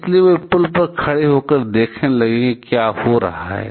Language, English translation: Hindi, So, they stood on the bridge to see what is happening